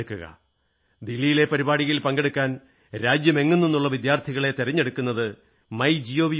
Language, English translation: Malayalam, Students participating in the Delhi event will be selected through the MyGov portal